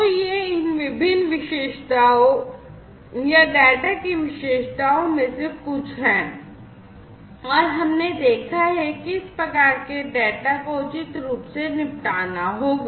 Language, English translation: Hindi, So, these are some of these different attributes or the characteristics of the data and we have seen that these this type of data will have to be dealt with appropriately